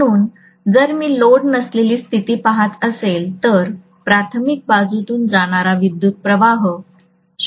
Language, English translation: Marathi, So if I am looking at the no load condition, no load condition current will be of the order of 0